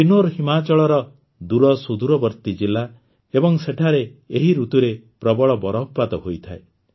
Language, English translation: Odia, Kinnaur is a remote district of Himachal and there is heavy snowfall in this season